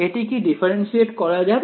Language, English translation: Bengali, Is it differentiable